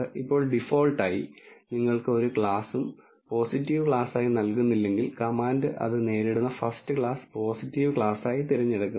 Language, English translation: Malayalam, Now by default if you do not give any class as a positive class the command chooses the first class that it encounters as the positive class